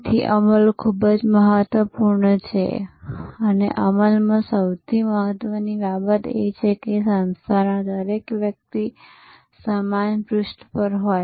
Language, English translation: Gujarati, So, execution is very important and in execution, the most important thing is to have everybody on the organization on the same page